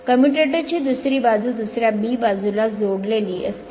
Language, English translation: Marathi, Another side of the commutator connected to segment side b right